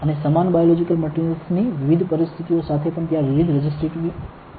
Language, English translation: Gujarati, And with the same biological material of different conditions of it also, there will be different resistivity